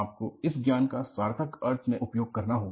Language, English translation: Hindi, You will have to utilize that knowledge in a meaningful fashion